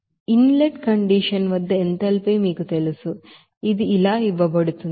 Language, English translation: Telugu, Whereas in you know enthalpy at this inlet condition it is given as this